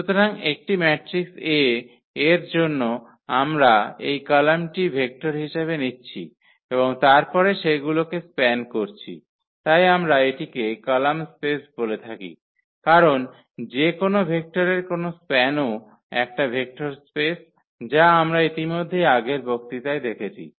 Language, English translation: Bengali, So, for a given matrix A we take its column as vectors and then span them, so that is what we call the column space because any span of any vectors that is a vector space which we have already seen in previous lectures